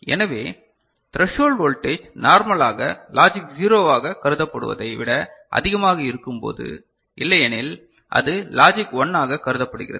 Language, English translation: Tamil, So, threshold voltage when it is higher than normal usually considered as logic 0 and otherwise it is considered as a logic 1 right